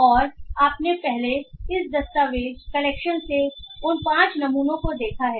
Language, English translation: Hindi, And you have previously seen those five samples from this document collection